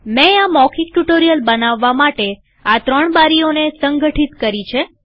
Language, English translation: Gujarati, I have organized these three windows, for the purpose of creating this spoken tutorial